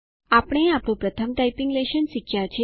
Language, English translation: Gujarati, We have learnt our first typing lesson